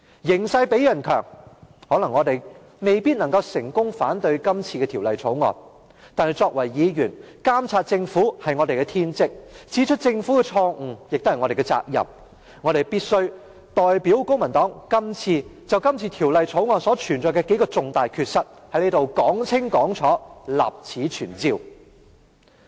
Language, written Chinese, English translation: Cantonese, 形勢比人強，我們未必能夠成功阻止《條例草案》通過，但作為議員，監察政府是我們的天職，指出政府的錯誤，亦是我們的責任，我必須代表公民黨就《條例草案》的數個重大缺失，在這裏說清楚，立此存照。, We have to submit to circumstances and it is unlikely that we can stop the passage of the Bill . But as Members monitoring the Government is our bounded duty and it is our responsibility to point out the Governments wrongdoings . On behalf of the Civic Party I must point out clearly the several major irregularities of the Bill to be put on record